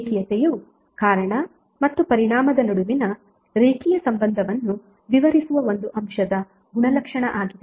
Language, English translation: Kannada, Linearity is the property of an element describing a linear relationship between cause and effect